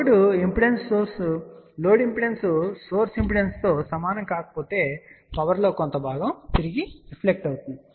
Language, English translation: Telugu, But if load impedance is not equal to source impedance, then part of the power will get reflected back